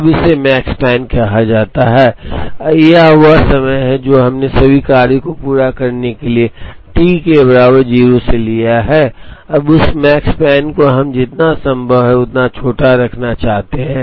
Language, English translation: Hindi, Now that is called the Makespan, that is the amount of time that we have taken from t equal to 0, to complete all the jobs, now that Makespan we want to keep it as small as possible